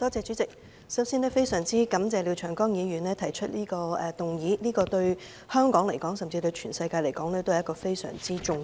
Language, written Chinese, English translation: Cantonese, 主席，首先非常感謝廖長江議員提出的議案，這議題對香港甚至全世界均十分重要。, President I thank Mr Martin LIAO for moving this motion . This is a very important issue to Hong Kong or even to the world